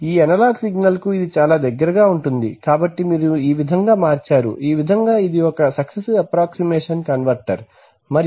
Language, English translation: Telugu, Which is closest to this analog signal right, so this is how you convert, this is how a typical successive approximation converter is and